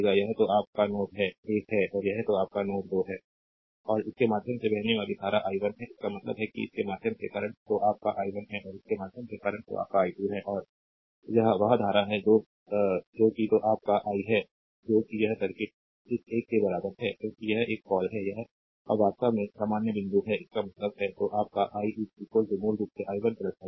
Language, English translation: Hindi, And current flowing through this is i 1; that means, current through this is your i 1 and current through this is your i 2, and this is the current that is your i that is whatever this circuit is equivalent to this one, right because it is a all or this is actually common point; that means, your i is equal to basically i 1 plus i 2